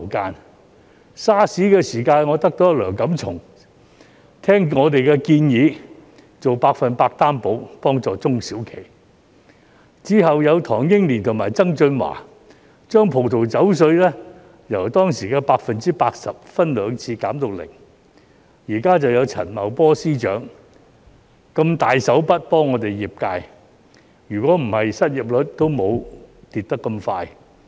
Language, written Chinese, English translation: Cantonese, 在 SARS 的時候，我得到梁錦松聆聽我們的建議，做百分百擔保幫助中小企；之後有唐英年及曾俊華，把葡萄酒稅由當時的 80%， 分兩次減至零；現時就有陳茂波司長如此"大手筆"的幫助業界，否則失業率也不會下跌得這麼快。, During the SARS outbreak our proposal on offering 100 % loan guarantee as an assistance for small and medium enterprises SMEs was accepted by Antony LEUNG . Later Henry TANG and John TSANG reduced the wine duty from 80 % at the time to 0 % in two phases . Now there is Financial Secretary Paul CHAN who has been so very generous in helping the industry